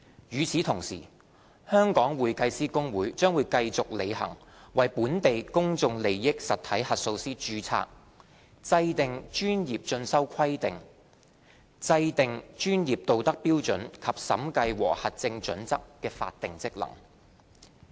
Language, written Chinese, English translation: Cantonese, 與此同時，香港會計師公會將繼續履行為本地公眾利益實體核數師註冊、制訂專業進修規定、制訂專業道德標準及審計和核證準則的法定職能。, At the same time the Hong Kong Institute of Certified Public Accountants will continue to perform the statutory functions of registration of local PIE auditors and setting the requirements for continuing professional development as well as setting standards on professional ethics auditing and assurance